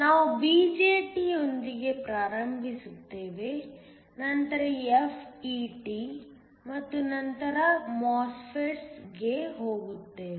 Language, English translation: Kannada, We will start with the BJT then go on to FET and then MOSFETS